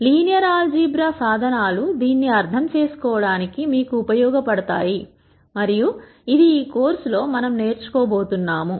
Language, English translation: Telugu, Linear algebraic tools allow us to understand this and that is something that we will teach in this course